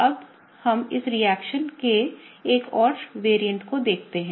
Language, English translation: Hindi, Now let us look at one more variant of this reaction